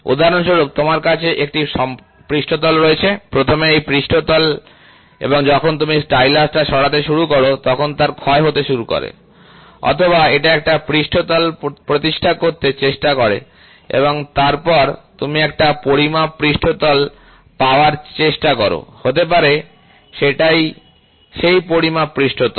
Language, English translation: Bengali, For example; you have a surface, right, this surface first as and when you start moving the stylus, it will have a running in wear or it will try to establish a surface and then you will try to have a measuring surface, may be this is the measuring surface